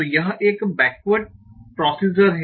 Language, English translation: Hindi, So this is a backward procedure